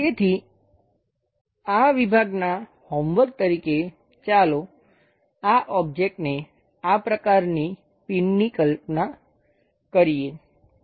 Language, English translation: Gujarati, So, as a homework for thissection let us visualize this object this kind of pin